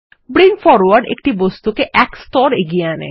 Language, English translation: Bengali, Bring Forward brings an object one layer ahead